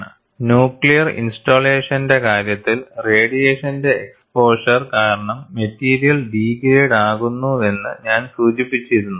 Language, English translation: Malayalam, And you should also keep in mind, I had mentioned, in the case of nuclear installation, the material degrades because of exposure to radiation